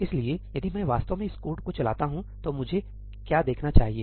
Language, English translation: Hindi, So, if I actually run this code, what do I see